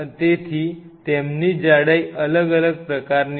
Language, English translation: Gujarati, So, they have a different kind of thickness